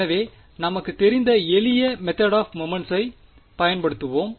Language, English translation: Tamil, So, we will use the simplest method of moments that we know